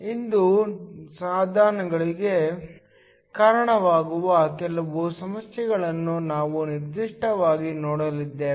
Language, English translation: Kannada, Today, we are going to look specifically at some problems leading to devices